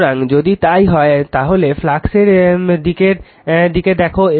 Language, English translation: Bengali, So, if it is so then look at the flux direction